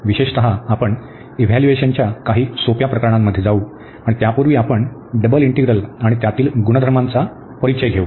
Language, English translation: Marathi, In particular, we will go through some simple cases of evaluation and before that we will introduce the double integrals and their its properties